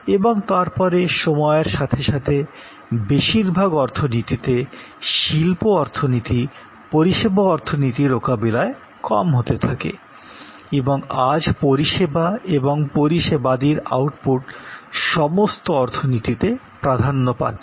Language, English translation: Bengali, And then over time, industry output was less compare to services and services output dominates today most in the most economies